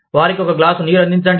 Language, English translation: Telugu, Offer them, a glass of water